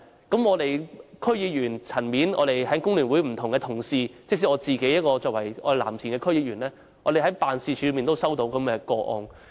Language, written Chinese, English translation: Cantonese, 在區議員層面，工聯會不同的同事，以及我作為藍田區區議員，均曾在辦事處接獲這類個案。, At the level of District Councils various colleagues in the Hong Kong Federation of Trade Unions FTU and I being a member of the Lam Tin District Council have received this kind of cases in our offices